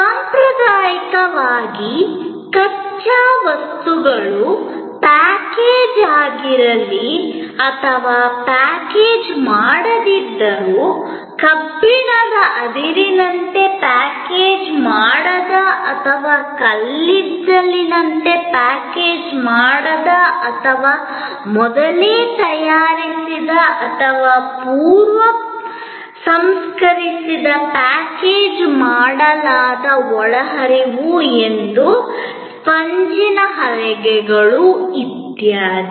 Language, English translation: Kannada, Traditionally, raw materials, whether package unpackaged, like iron ore as unpackaged or coal as unpackaged or pre prepared or preprocessed packaged inputs like say a sponge pallets, etc